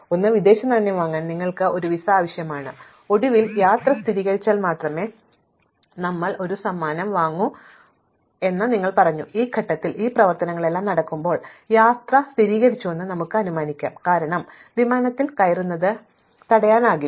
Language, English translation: Malayalam, Then, you need a visa to buy foreign exchange and finally, we said we will buy a gift only if the trip is confirmed and at some point at this stage when all these operations are done, we can assume that the trip is confirmed, because nothing is blocking us getting on the plane